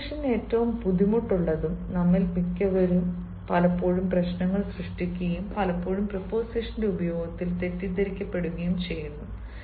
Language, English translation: Malayalam, then preposition, one of the most difficult, and most of us often create problems and often are mistaken in the use of preparation